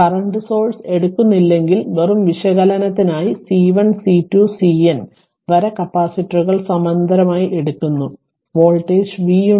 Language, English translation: Malayalam, In this case current source is taken and just for analysis right and C 1 C 2 up to C N capacitors are in parallel right and voltage v